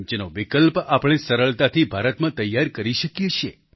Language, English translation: Gujarati, Their substitutes can easily be manufactured in India